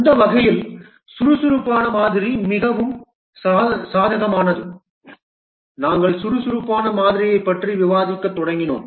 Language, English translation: Tamil, And in that respect, the agile model is very advantageous and we had just started discussing about the agile model